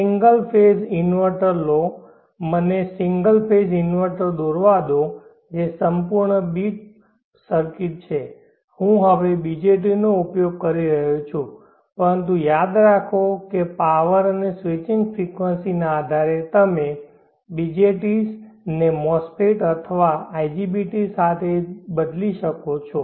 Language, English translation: Gujarati, Take a single phase inverter, let me draw the single phase inverter which is a full bit circuit, I am using BJTs now, but remember that you can replace the BJTs with MOSFETs or IGBTs as depending upon the power and switching frequencies